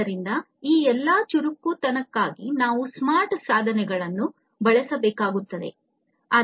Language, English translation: Kannada, So, for all of these in order to make them smarter, we need to use smart devices, smart devices, right